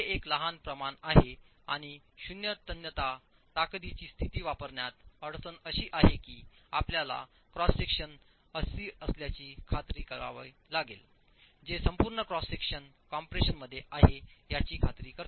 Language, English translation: Marathi, It's a small quantity and the difficulty in using a zero tensile strength condition is that you will have to then ensure you have a cross section, a dimension which ensures the entire cross section is in compression